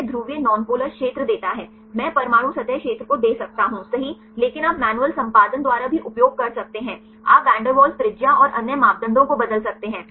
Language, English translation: Hindi, It give the polar nonpolar area I can give atom wise surface area right, but you can also use by manual editing you can change the van der Waals radius and other parameters